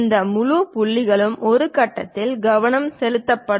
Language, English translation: Tamil, These entire points will be focused at one point